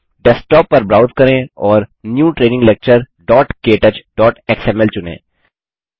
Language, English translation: Hindi, Browse to the Desktop and select New Training Lecture.ktouch.xml